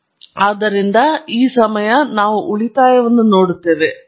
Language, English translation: Kannada, So, this time, we look at the residuals; yeah the trend has vanished